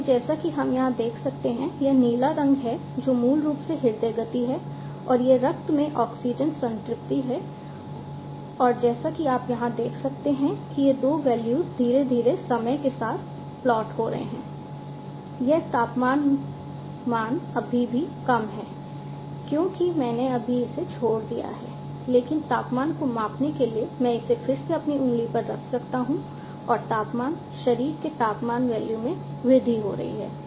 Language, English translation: Hindi, So, as we can see over here, this is the blue one is basically the heart rate and this is the oxygen saturation in the blood and as you can see over here these two values are gradually getting plotted over time, this temperature value is still low because you know I just left it out, but you know I could be again putting it on my finger for measuring the temperature and as you can see now that the temperature value the body temperature value is increasing right